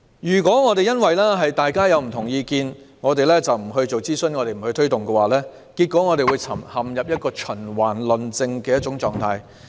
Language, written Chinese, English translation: Cantonese, 如果因為各方持有不同意見，便不進行諮詢和推動工作，只會陷入循環論證的狀態。, If we do not carry out consultation and push forward the relevant work because various parties have different opinions we will only indulge in circular arguments